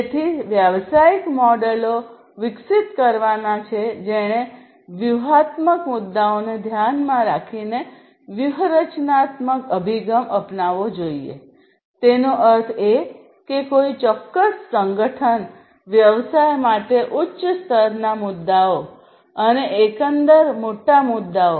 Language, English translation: Gujarati, So, business models are have to be developed which should take the strategic approach by considering the bigger issues the strategic issues; that means, high level issues for a particular organization business and the greater issues overall